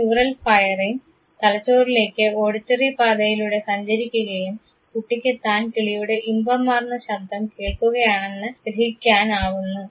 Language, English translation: Malayalam, This neural firing travels to the brain through auditory pathway and the child senses that he is listening to this melodious sound of the bird